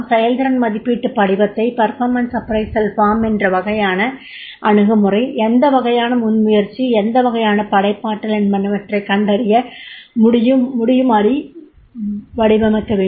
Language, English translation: Tamil, The performance appraisal form has to be designed in such a way that is the what type of the attitude, what type of initiative and what type of the creativity has been designed